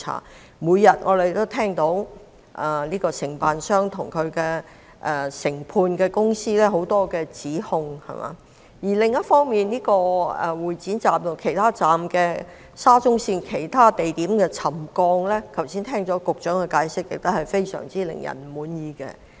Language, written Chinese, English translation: Cantonese, 我們每天也聽到很多關於承建商及分判商的指控，而另一方面，對於沙中線會展站及其他車站的沉降問題，剛才局長的解釋同樣令人非常不滿意。, A long list of accusations against the contractors and subcontractors comes to our ears every day and meanwhile the Secretarys explanation for the settlement issues at Exhibition Centre Station and other stations of SCL just now is also far from satisfactory